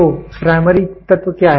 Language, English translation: Hindi, So, what are the primary elements